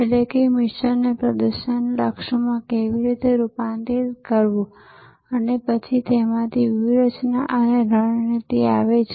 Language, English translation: Gujarati, So, this is objective, that is how to convert the mission into performance targets and then out of that comes strategy and tactics